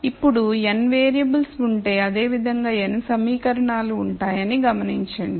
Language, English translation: Telugu, Now, notice that if there are n variables there will be n equations of this form